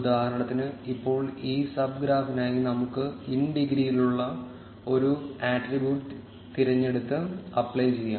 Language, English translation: Malayalam, For instance, now for this sub graph, let us choose an attribute which is in degree and apply